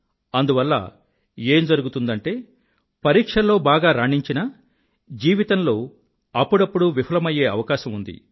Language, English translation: Telugu, Thus, you may find that despite becoming brilliant in passing the exams, you have sometimes failed in life